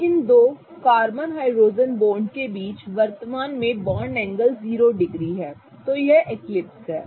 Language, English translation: Hindi, Now the bond angle currently between these two carbon hydrogen bonds is zero degrees